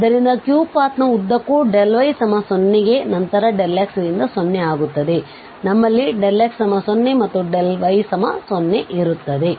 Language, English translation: Kannada, So along this path p, as I said there delta y to 0 then delta x to 0 along path Q, we have delta x to 0 and delta y to 0